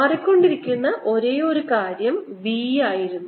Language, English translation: Malayalam, the only thing that was changing, that was b